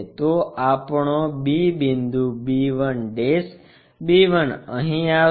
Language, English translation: Gujarati, So, our b point nu 1 b 1', b 1 will be here